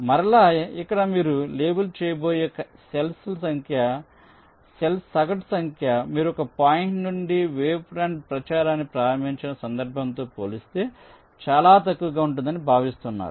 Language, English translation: Telugu, so again here, the average number of cells you will be leveling will is expected to be matchless, as compared to the case where you start the wavefront propagation from one point